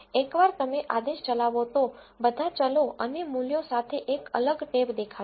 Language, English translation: Gujarati, Once you run the command a separate tab will appear with all the variables and the values